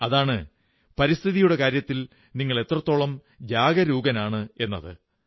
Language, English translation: Malayalam, And that measure is your level of environment consciousness